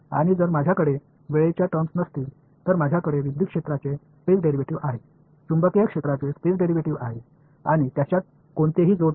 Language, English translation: Marathi, And if I do not have the time terms, then I have the space derivative of electric field, space derivative of magnetic field and there is no coupling between them; because the coupling was happening via time derivative